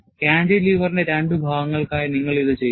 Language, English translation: Malayalam, And, you do this for two parts of the cantilever